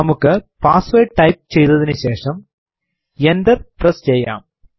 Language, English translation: Malayalam, Let us type the password and press enter